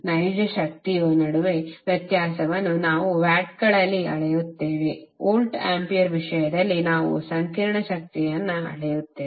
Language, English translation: Kannada, Just to distinguish between real power that is what we measure in watts, we measure complex power in terms of volt ampere